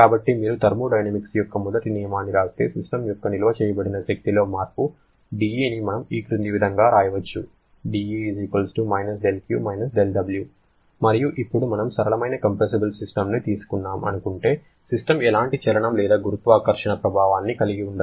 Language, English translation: Telugu, So, if you write the first law of thermodynamics then we can write that dE the change in the internal energy sorry the change in the stored energy of the system will be= del Q del W and now let us assume a simple compressible system that is the system does not have any kind of motion or gravitational effect